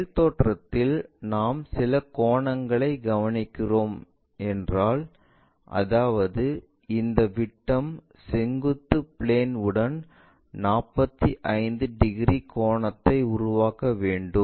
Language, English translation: Tamil, In top view, if we are observing some angle; that means, this diameter must be making a 45 degrees angle with the vertical plane